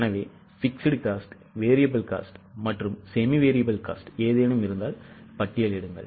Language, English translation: Tamil, So, please list down the fixed cost, variable cost and semi variable costs, if any